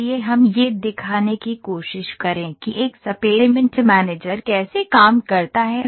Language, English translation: Hindi, So, let us try to demonstrate how does experiment manager works here